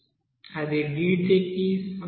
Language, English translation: Telugu, That will be is equal to dt